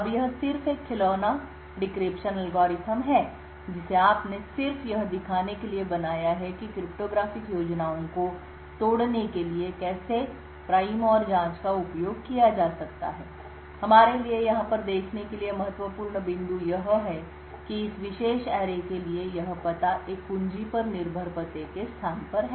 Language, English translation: Hindi, Now this is just a toy decryption algorithm, which you have just built up to show how prime and probe can be used to break cryptographic schemes, the important point for us to observe over here is that this lookup to this particular array is on a address location which is key dependent